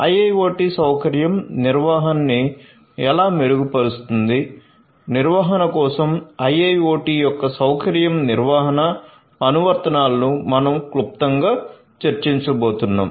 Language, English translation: Telugu, So, how IIoT can improve facility management applications of IIoT for facility management is what we are going to discuss briefly